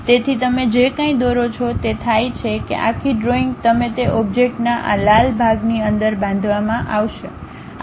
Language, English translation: Gujarati, So, whatever you are drawing happens that entire drawing you will be constructed within this red portion of that object